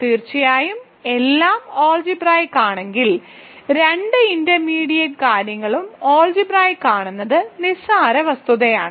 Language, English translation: Malayalam, Of course, the; I mean if the whole thing is algebraic it is a trivial fact that both intermediate things are also algebraic